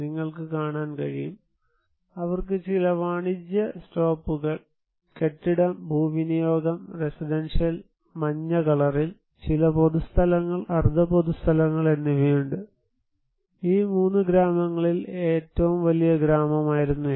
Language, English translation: Malayalam, You can see, they have some commercial stops, building, land use and most of the residential yellow and some public and semi public, it was the biggest village among these 3 villages